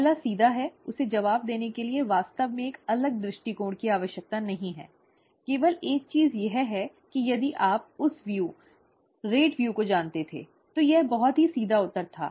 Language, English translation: Hindi, The first one is straight forward, it did not really need a certain different view to answer, only thing is that if you had known that view, the rate view, it was a very straight forward answer